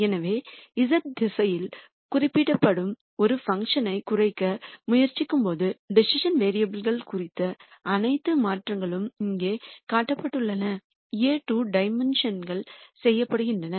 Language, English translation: Tamil, So, while we are trying to minimize a function which is represented in the z direction, all the changes to the decision variables are being done in a 2 dimensional plane which is shown here